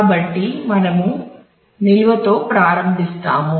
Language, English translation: Telugu, So, we will start with the storage